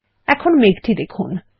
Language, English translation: Bengali, Observe the clouds, now